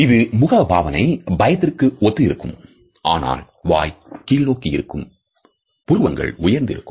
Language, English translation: Tamil, So, very similar to fear, but surprises when you drop your mouth down and your eyebrows raise